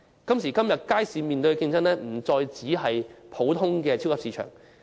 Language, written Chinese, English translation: Cantonese, 街市現在面對的競爭，不再是普通的超級市場。, The competitors now faced by the markets are no longer ordinary supermarkets